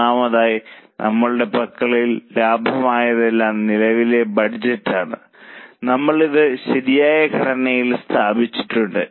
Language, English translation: Malayalam, Firstly, whatever is available with us is a current budget we have put it in proper format